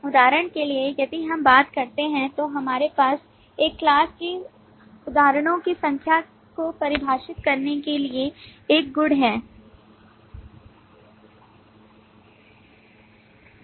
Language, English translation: Hindi, For example, if we talk of that, we have a property to define count, the number of instances of a class that we have constructed